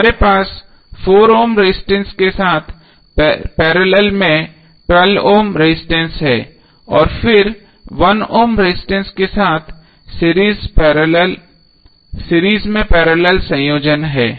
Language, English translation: Hindi, We have to with only the forum registrants in parallel with 12 ohm resistance and then finally the parallel combination in series with 1 ohm resistance